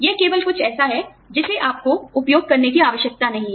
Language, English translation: Hindi, It is just something that, you did not need to use